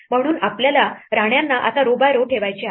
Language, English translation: Marathi, So, we want to place the queens now row by row